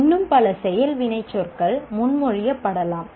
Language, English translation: Tamil, There can be many more action verbs be proposed